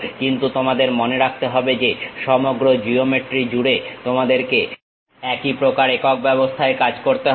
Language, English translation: Bengali, But throughout your geometry remember that you have to work on one system of units